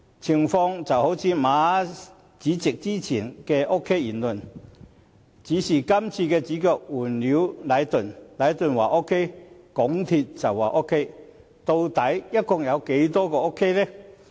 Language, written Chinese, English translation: Cantonese, 情況正如馬主席先前的 OK 言論，只是主角換了是禮頓，禮頓說 OK， 港鐵公司便說 OK， 但究竟有多 OK？, This is similar to the OK remark made by Chairman Frederick MA only that the protagonist now is changed to Leighton . If Leighton says things are OK MTRCL will admit that things are OK but to what extent things are OK?